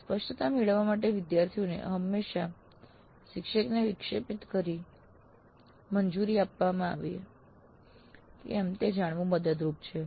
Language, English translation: Gujarati, So it is helpful to know whether the students are always allowed to interrupt the instructor to seek clarifications